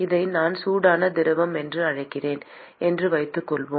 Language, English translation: Tamil, Let us say I call this as the hot fluid